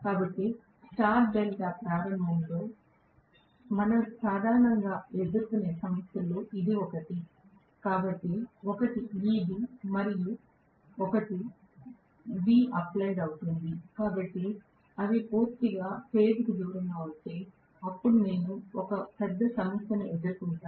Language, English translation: Telugu, So, this is one of the problems normally we may face in star delta starting, so one is Eb the other one will be V applied, so if they are completely out of phase, then I am going to have a major issue right